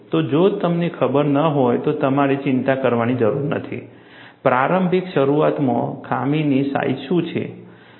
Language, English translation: Gujarati, So, you do not have to worry, if you do not know, what is the initial flaw size